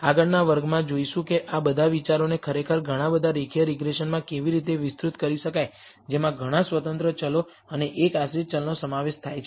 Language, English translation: Gujarati, Next class will see how to actually extend all of these ideas to the multiple linear regression which consist of many independent variables and one dependent variable